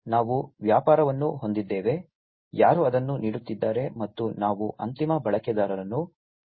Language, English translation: Kannada, So, we have the business, who is offering it, and we have the end users